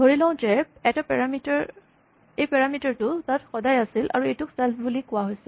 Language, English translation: Assamese, Let us just assume that this parameter is always there and it is called self